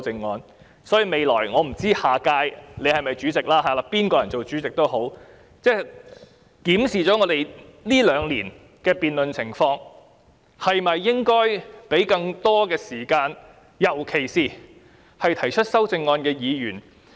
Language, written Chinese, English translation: Cantonese, 我不知道主席下屆會否連任主席一職，但不論誰人當主席，也應該檢視一下這兩年的辯論情況，考慮給予議員更多發言時間，尤其是提出修正案的議員。, I wonder whether the President will be re - elected in the next term . However whoever wins the Presidency should review the situation of the debates in these two years or so and consider giving more speaking time to Members particularly those who have proposed amendments